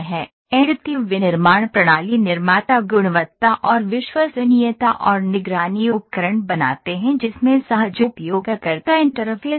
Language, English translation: Hindi, Additive manufacturing system manufacturers create quality and reliability and monitoring tools that have intuitive user interfaces